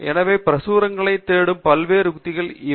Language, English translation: Tamil, So, what are the various strategies to search literature